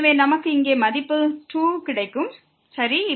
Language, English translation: Tamil, So, we will get here the value 2 ok